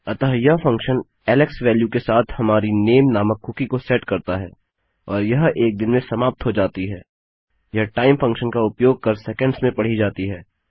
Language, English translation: Hindi, So this function will set our cookie called name with a value of Alex and it will expire in a day read in seconds using the time function here